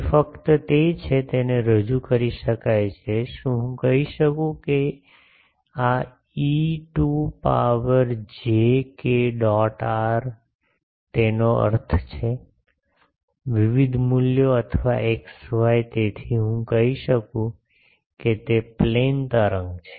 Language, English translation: Gujarati, It is simply the, it can be represented, can I say that this is e to the power j k dot r; that means, various values or x y, so this is a plane wave can I say